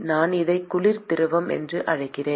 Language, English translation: Tamil, And I call this is the cold fluid